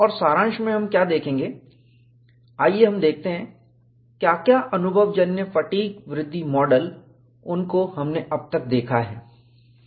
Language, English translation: Hindi, And what we will say is, in summary, let us look at, what are the empirical fatigue growth models we have seen so far